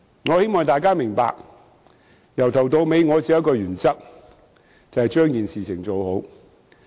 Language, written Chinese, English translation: Cantonese, 我希望大家明白，由始至終我只秉持一個原則，就是把事情做好。, I hope everyone will understand that I have always upheld one principle only and that is getting the job done